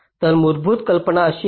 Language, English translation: Marathi, so the basic idea is something like this